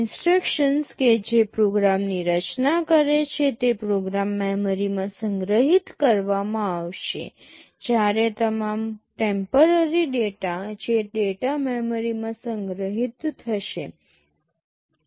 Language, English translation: Gujarati, The instructions that constitute the program will be stored in the program memory, while all temporary data that will be stored in the data memory